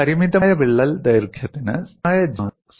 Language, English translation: Malayalam, And for limited crack lengths, a constant G specimen is possible